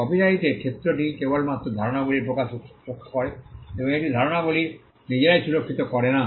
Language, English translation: Bengali, The scope of the copyright protects only expressions of idea and it does not protect the ideas themselves